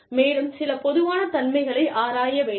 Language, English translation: Tamil, And, some commonalities, needs to be explored